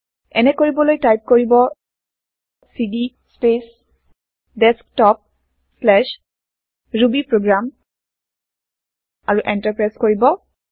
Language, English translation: Assamese, To do so, type cd space Desktop/rubyprogram and press Enter